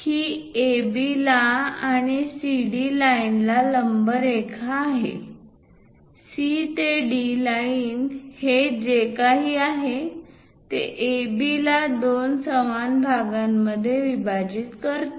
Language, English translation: Marathi, Once we construct CD; it is a perpendicular line to AB and also this CD line; C to D line, whatever this is going to bisect AB into two equal parts